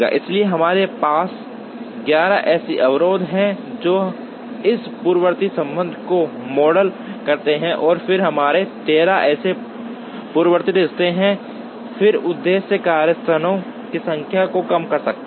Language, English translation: Hindi, So, we have 11 such constraints which model this precedence relationship and then we have 13 such precedence relationships, then the objective function is to minimize the number of workstations